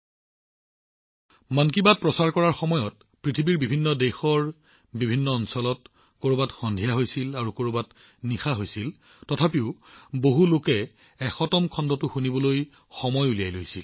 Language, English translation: Assamese, When 'Mann Ki Baat' was broadcast, in different countries of the world, in various time zones, somewhere it was evening and somewhere it was late night… despite that, a large number of people took time out to listen to the 100th episode